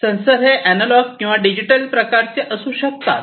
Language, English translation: Marathi, And these could be of analog or, digital types